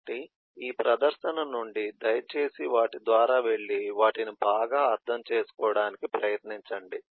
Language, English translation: Telugu, so, from the presentation, please go through them and try to understand them better now